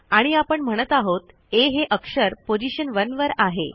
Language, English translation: Marathi, So actually we are saying letter A is in position one